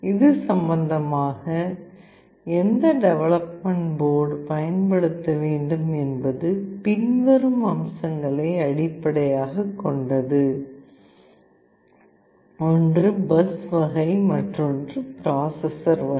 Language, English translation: Tamil, In that regard which development board to use is based on the following features; one is the bus type another is the processor type